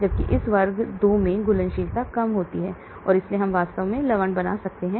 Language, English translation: Hindi, Whereas in this class 2 solubility is low and so we can make salts in fact they have made salts from this